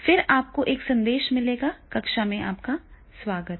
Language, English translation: Hindi, Now, here it will message will be there, welcome to classroom